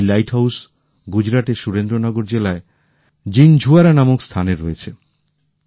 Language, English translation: Bengali, This light house is at a place called Jinjhuwada in Surendra Nagar district of Gujarat